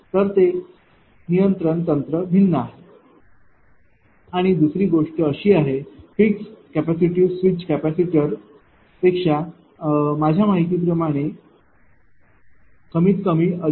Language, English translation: Marathi, So, that control technique is different and another thing is that; that fixed capacitor is less expensive than switch capacitor switch capacitor is more expensive at least 2